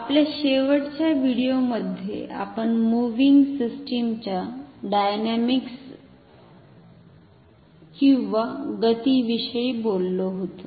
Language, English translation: Marathi, In our last video we were talking about the dynamics of the moving system